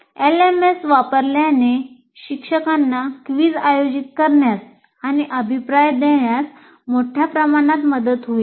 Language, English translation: Marathi, Using an LMS will greatly facilitate the teacher to conduct a quiz and give feedback